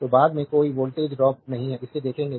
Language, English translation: Hindi, So, there is no voltage drop later, we will see this